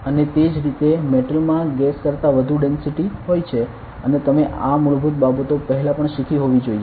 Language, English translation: Gujarati, And similarly, metal has more density than gases and so on so you must have learned these basics before also